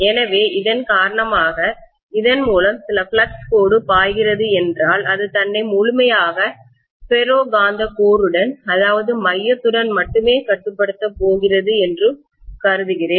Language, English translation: Tamil, So because of which, I am going to assume that if I have some flux line flowing through this, it is going to completely confine itself to the ferromagnetic core alone